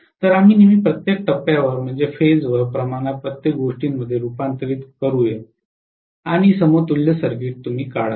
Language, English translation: Marathi, So you will always convert everything into per phase quantity and draw the equivalent circuit